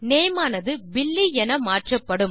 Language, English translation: Tamil, Our name has changed to Billy